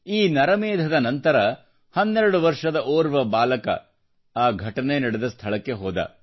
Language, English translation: Kannada, Post the massacre, a 12 year old boy visited the spot